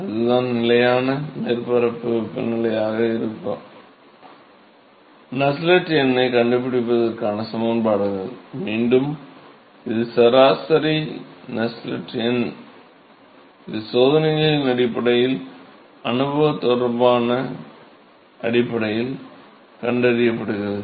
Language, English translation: Tamil, And so, if it is a constant surface temperature, if it is a constant surface temperature, so, the correlations to find out the Nusselt number, again this is average Nusselt number, it is being found, based on experiments, the empirical correlations